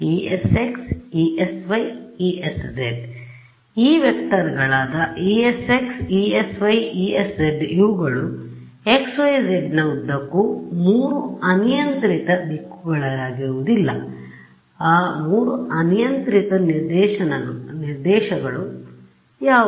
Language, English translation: Kannada, So, these vectors E s x E s y and E s z they are not along x hat y hat z hat they are not they are along 3 arbitrary directions, what are those 3 arbitrary directions